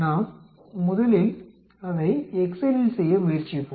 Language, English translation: Tamil, Let us try it do it in excel first